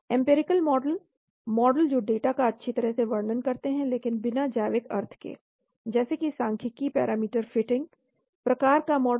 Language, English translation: Hindi, Empirical models, models that describe the data well but without biological meaning , like the statistical parameter fitting type of model